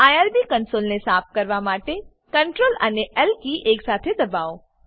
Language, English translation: Gujarati, Clear the irb console by pressing Ctrl, L simultaneously